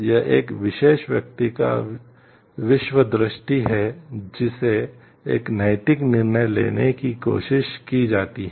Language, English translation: Hindi, It is the worldview of a particular person who is tried to make a moral decision